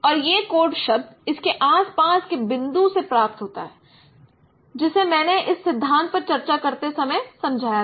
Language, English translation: Hindi, And this code word is obtained from a neighborhood of the point around it that I explained also while discussing its principle